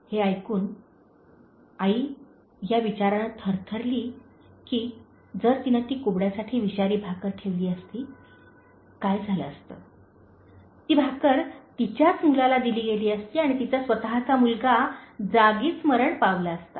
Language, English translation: Marathi, Listening to this, the mother shuddered with a thought that, what would have happened, if she had kept that poisonous bread for the Hunchback and that bread would have been given to her own son and her own son would have died on the spot